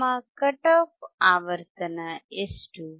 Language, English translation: Kannada, What is our cut off frequency